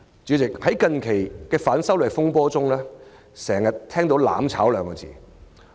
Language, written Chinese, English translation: Cantonese, 主席，在近日的反修例風波中，經常聽到"攬炒"二字。, President the phrase burning together has been used widely in the recent controversy over the extradition law amendment